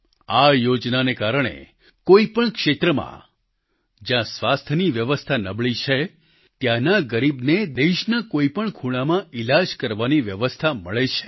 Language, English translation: Gujarati, Due to this scheme, the underprivileged in any area where the system of health is weak are able to seek the best medical treatment in any corner of the country